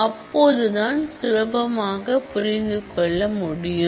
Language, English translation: Tamil, So, that we can understand it better